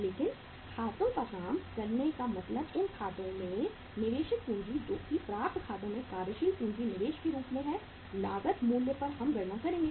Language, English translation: Hindi, But working out the accounts means investment on account of uh say working capital investment in the accounts receivables we will calculate that at the we will calculate that at the cost price